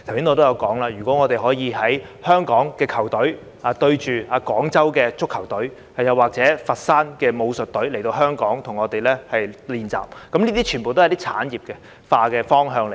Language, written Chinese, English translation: Cantonese, 我剛才也提到，香港的足球隊與廣州的足球隊對賽，或是佛山武術隊來港與我們練習，這些全部都是產業化的方向。, As I said earlier activities such as football matches between Hong Kong and Guangzhou teams and visits of the Foshan martial arts team to practise with Hong Kongs athletes can all lead sports to the direction of industrialization